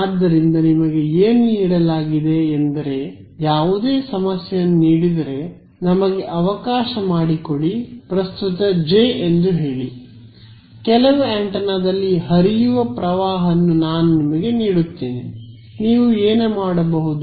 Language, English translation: Kannada, So, what is given to you is if any problem is given let us say the current J, I give you the current that is flowing in some antenna what can you do